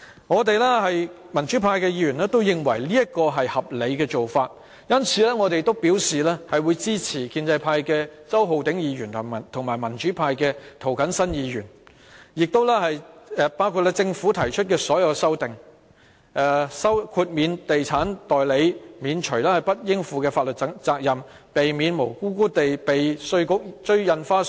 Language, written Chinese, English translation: Cantonese, 我們民主派議員都認為這是合理的做法，因此表示會支持由建制派周浩鼎議員、民主派涂謹申議員和政府提出的所有修正案，包括豁免地產代理免除不應負的法律責任，以避免無辜被稅務局追收印花稅。, We Members from the pro - democratic camp consider the amendments acceptable and thus give our support to all the amendments proposed by Mr Holden CHOW of the pro - establishment camp Mr James TO of the pro - democracy camp and the Government including exempting estates agents from bearing unnecessary legal responsibility so that they would be spared from being innocently targeted by the Inland Revenue Department over the recovery of stamp duty